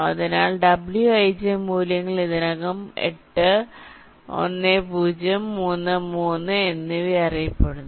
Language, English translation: Malayalam, so wij values are already known: eight, ten, three and three